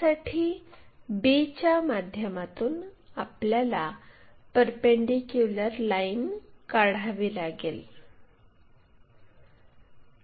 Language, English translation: Marathi, Through b we have to draw a perpendicular line